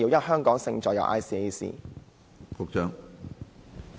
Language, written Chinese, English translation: Cantonese, "香港勝在有 ICAC"。, Hong Kong Our Advantage is ICAC